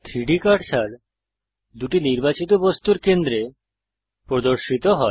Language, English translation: Bengali, The 3D cursor snaps to the centre of the two selected objects